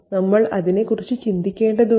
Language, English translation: Malayalam, That's something we need to note